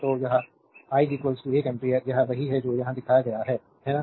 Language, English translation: Hindi, So, this i is equal to one ampere, this is what is shown here, right